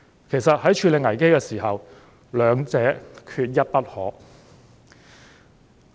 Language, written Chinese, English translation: Cantonese, 其實，在處理危機時，兩者缺一不可。, In fact both parts are indispensable in the handling of crisis